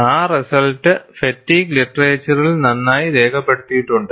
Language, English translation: Malayalam, Those results are well documented in fatigue literature